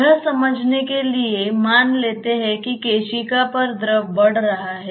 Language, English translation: Hindi, To understand that let us assume that the fluid is rising over the capillary